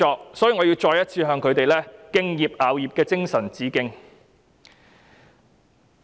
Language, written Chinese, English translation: Cantonese, 因此，我要再次向他們敬業樂業的精神致敬。, For this reason I must express my sincere admiration for their professionalism